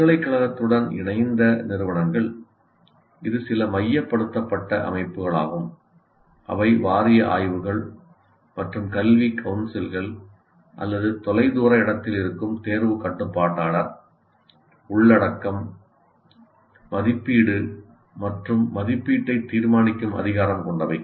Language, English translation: Tamil, But institutions affiliated to university, it is some centralized bodies, whatever you call them, like a board sub studies, their academic councils, they are at a distant place or the controller of exam, they have the power to decide the content, assessment and evaluation